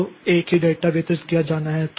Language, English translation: Hindi, So, so the same data is the data has to be distributed